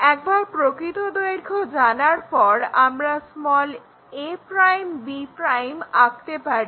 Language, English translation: Bengali, Once, we know the true length constructing that a' b' we know, that is done